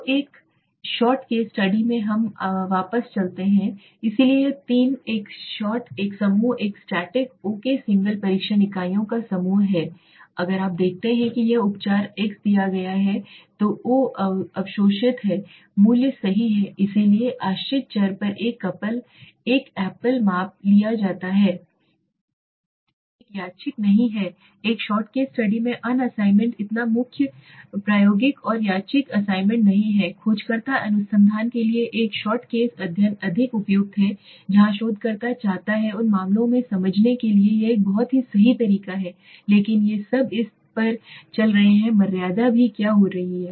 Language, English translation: Hindi, So in one shot case study let us go back so this three one shot, one group, static okay a single group of test units here if you see now this is the treatment treatment x is given o is the absorbed value right so a single measurement on the dependent variable is taken one there is no random assignment in the one shot case study right so free experimental there is no random assignment the one shot case study is more appropriate for exploratory research where the researcher wants to understand in those cases this is a very this is a good way right but these are having its on limitation also what is happening